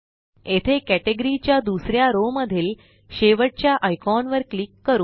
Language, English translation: Marathi, Here, let us click on the last icon in the second row of categories